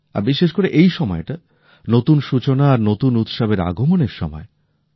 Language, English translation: Bengali, And this time is the beginning of new beginnings and arrival of new Festivals